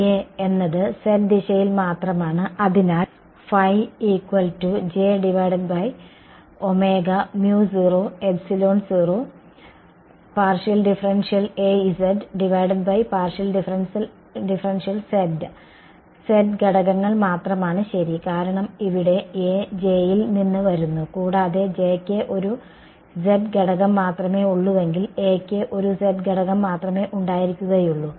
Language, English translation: Malayalam, A is only in the z direction right; so, A is a the vector A we has which components, only the z components right because A is coming from J over here and if J has only a z component, A will also have just a z component right